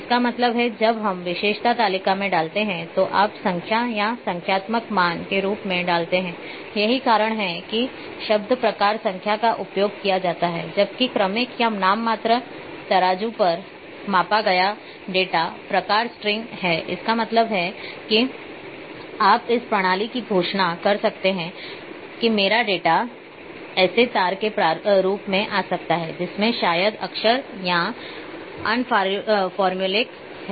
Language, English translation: Hindi, That means, that when we put in the attribute table you put them as number as numeric value that is why the word type number is used while the data measured at ordinal or nominal scales are type string; that means, you are declaring to the system that my data can come in as strings that maybe have alphabets or alphanumeric